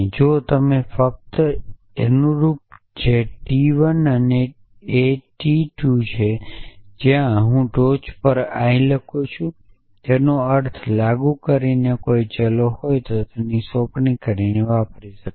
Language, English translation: Gujarati, If and only if the corresponding which is t 1 i A t 2 when I write i A on the top it means by applying the interpretation and by applying